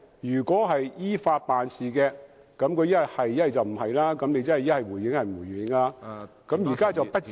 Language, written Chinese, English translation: Cantonese, 如果是依法辦事，政府要麼就回應，要麼就不回應，但現在特首卻表示不至於......, If the Government acts in accordance with law it should either reply or refuse to reply to them but now the Chief Executive said that the Government should not go so far as to